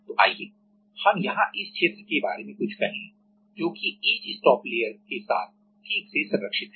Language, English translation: Hindi, So, let us say here this regions are properly protected with some etch stop layer